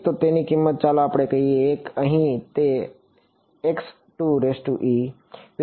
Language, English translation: Gujarati, So, its value is let us say 1 over here and at x 2 e